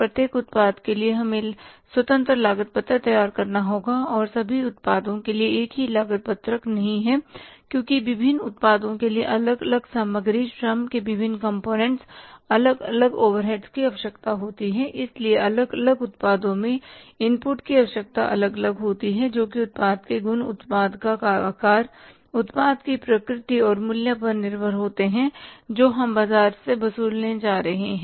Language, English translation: Hindi, One thing I would like to share with you here is and to make clear that cost sheet is prepared product wise for every product we have to prepare the independent cost sheet and one cost sheet is not common for all the products because different products require different materials different components of labor different overheads so requirement of the inputs is different in the different products depending upon the qualities of the product size of the product nature of the product and the price we are going to charge from the market